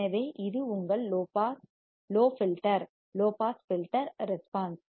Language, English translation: Tamil, So, this is your low filter low pass filter response